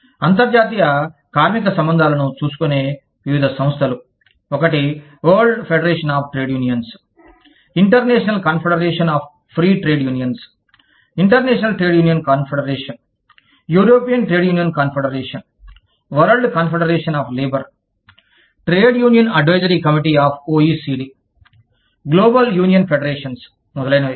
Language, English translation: Telugu, Various organizations, looking after the international labor relations are, one is the World Federation of Trade Unions, International Confederation of Free Trade Unions, International Trade Union Confederation, European Trade Union Confederation, World Confederation of Labor, Trade Union Advisory Committee of the OECD, Global Union Federations, etcetera